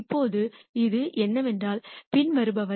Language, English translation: Tamil, Now, what this does is the following